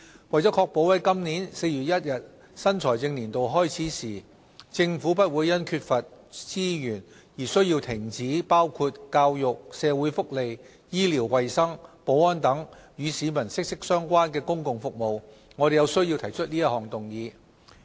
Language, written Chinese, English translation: Cantonese, 為確保在今年4月1日新財政年度開始時，政府不會因缺乏資源而需要停止包括教育、社會福利、醫療衞生、保安等與市民息息相關的公共服務，我們有需要提出這項議案。, To ensure that the Government will not need to halt public services including services closely related to peoples livelihood such as education social welfare health care and security due to the lack of funds when the new financial year starts on 1 April 2018 we need to propose this motion